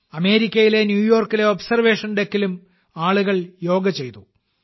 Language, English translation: Malayalam, People also did Yoga at the Observation Deck in New York, USA